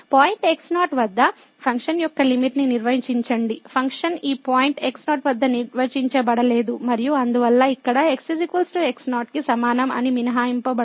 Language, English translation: Telugu, So, define the limit of function at point naught, the function may not be defined at this point naught and therefore, here that is equal to naught is excluded